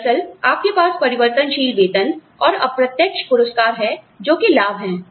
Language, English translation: Hindi, Actually, you have the variable pay, and indirect rewards